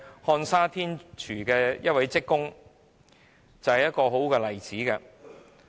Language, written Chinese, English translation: Cantonese, 漢莎天廚於2017年解僱一名職工的個案正是一個好例子。, One good example is the dismissal case involving LSG Sky Chefs in 2017